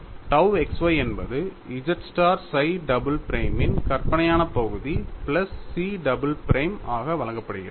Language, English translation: Tamil, Now, let us define capital Y as z psi double prime plus chi double prime